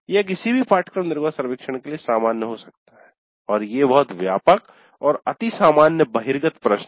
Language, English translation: Hindi, So this can be common to any course exit survey and these are very broad and very general overview kind of questions